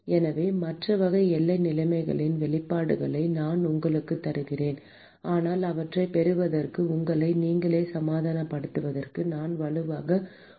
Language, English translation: Tamil, So, I will just give you the expressions for the other type of boundary conditions, but I would strongly encourage you to derive them and convince yourself